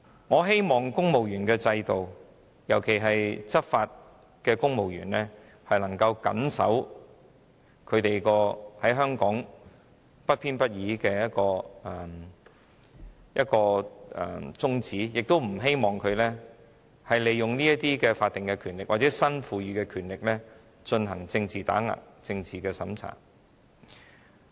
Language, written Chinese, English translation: Cantonese, 我希望香港負責執法的公務員能夠謹守不偏不倚的宗旨，而不希望他們利用法定權力或新增權力進行政治打壓及政治審查。, I hope that the civil servants responsible for enforcing the law in Hong Kong will adhere to the principle of impartiality . I do not wish to see them use their statutory power or the newly created powers to engage in political suppression and censorship